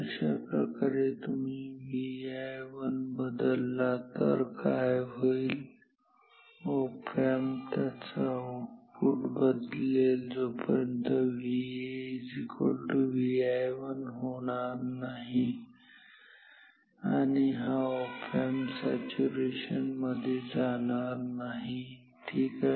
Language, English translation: Marathi, In this way what happens if you change V i 1 op amp will change it is output and will make in make as long as possible this V A equal to V i 1 until this goes to saturation ok